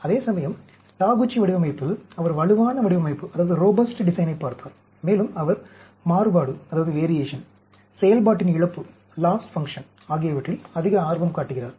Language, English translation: Tamil, Whereas in Taguchi design, he has looked at robust design, and he is more interested in the variation, the loss function